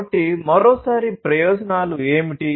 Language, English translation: Telugu, So, what are the benefits once again